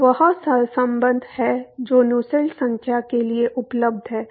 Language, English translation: Hindi, So, that is the correlation that is available for Nusselt number